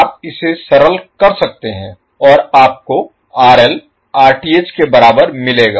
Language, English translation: Hindi, You can simplify it and you get RL is equal to Rth